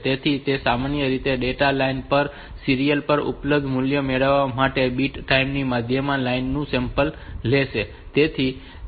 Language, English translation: Gujarati, So, it normally samples the line at the middle of the bit time to get the value that is available on the serial on the data line